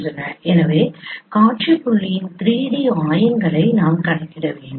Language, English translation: Tamil, So you have to compute the 3D coordinates of the scene point